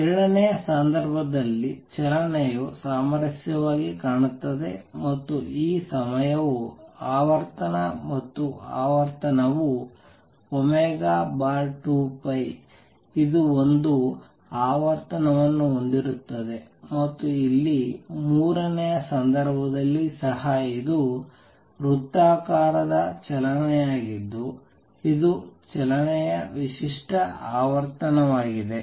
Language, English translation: Kannada, In the second case motion looks harmonic and this time is the time period and frequency is frequency is omega over 2 pi it contains one frequency, and here in the third case also this is the circular motion this is the unique frequency of motion